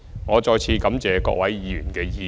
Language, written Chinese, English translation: Cantonese, 我再次感謝各位議員的意見。, Once again I would like to thank Members for their views